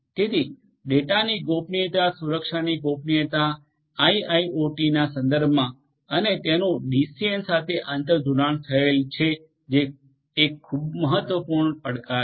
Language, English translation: Gujarati, So, privacy of the data privacy protection in the context of IIoT and it is interconnectivity with DCN is an important challenge